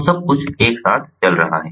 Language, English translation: Hindi, so everything flowing together